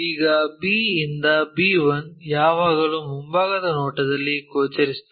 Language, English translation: Kannada, Now, B to B 1 always be visible in the front view